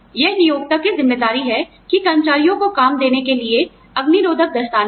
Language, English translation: Hindi, It is the responsibility of the employer, to give the employees, fireproof gloves to work with